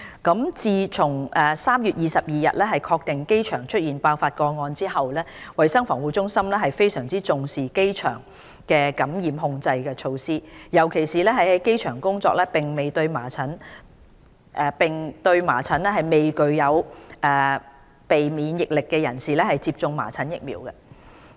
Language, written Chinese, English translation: Cantonese, 一自從3月22日確定機場出現爆發個案後，衞生防護中心非常重視機場的感染控制措施，尤其為於機場工作並對麻疹未具備免疫力的人士接種麻疹疫苗。, 1 Since a confirmed infection case emerged at the airport on 22 March CHP has attached great importance to the infection control measures at the airport particularly the measles vaccination for people working at the airport who are non - immune to measles